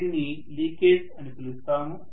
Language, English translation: Telugu, So we will call this as the leakage flux